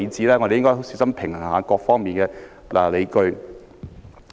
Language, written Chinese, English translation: Cantonese, 我們應該小心平衡各方面的理據。, We should carefully strike a balance among the justifications from various sides